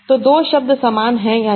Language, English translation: Hindi, So whether two words are similar or not